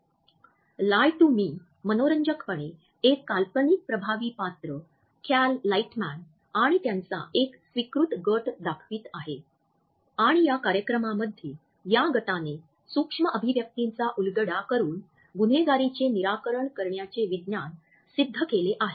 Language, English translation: Marathi, Lie to Me interestingly had featured a handpicked team of an imaginary effective character Cal Lightman and in this show we find that this team has perfected the science of solving crime by deciphering micro expressions